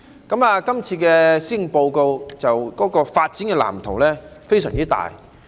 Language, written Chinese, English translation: Cantonese, 這份施政報告的發展藍圖非常大。, In this Policy Address the blueprint for development is really ambitious